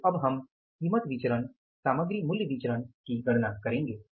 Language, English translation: Hindi, So, finally you can calculate the material price variance